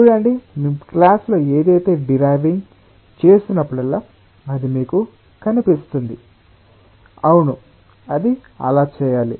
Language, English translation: Telugu, see, whenever we are deriving something in the class, it is like it will appear to you that, yes, it has to be done like that